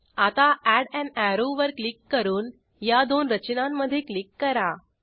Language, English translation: Marathi, Now, click on Add an arrow and click between the structures